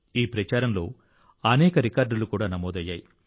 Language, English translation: Telugu, Many records were also made during this campaign